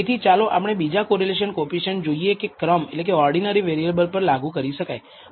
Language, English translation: Gujarati, So, let us look at other correlation coefficients that can be applied even to ordinal variables